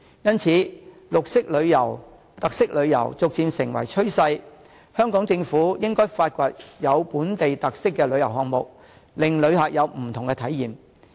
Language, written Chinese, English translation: Cantonese, 因此，綠色旅遊、特色旅遊逐漸成為趨勢，香港政府應該發掘有本地特色的旅遊項目，令旅客有不同體驗。, Hence green tourism or special tourism is getting popular . The Hong Kong Government should find out more tour items with local characteristics to enrich the experience of tourists